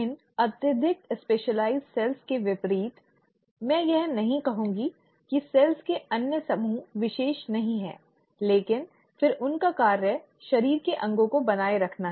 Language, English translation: Hindi, In contrast to these highly specialized cells, I won't say the other group of cells are not specialized, but then their function is to maintain the body parts